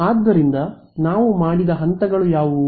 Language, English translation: Kannada, So, what are the steps that we did